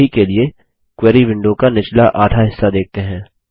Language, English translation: Hindi, For now, let us see the bottom half of the Query design window